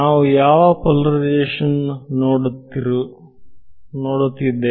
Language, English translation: Kannada, So, we are looking at again which polarization